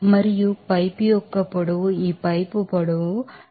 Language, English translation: Telugu, And the length of the pipe their solution is given 0